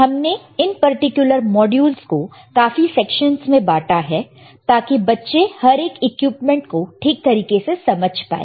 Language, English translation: Hindi, We have divided these particular modules into several sections so that this student can understand what are each equipment